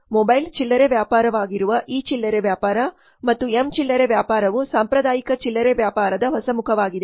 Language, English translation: Kannada, E retailing and M retailing that is mobile retailing are the new phase of traditional retailing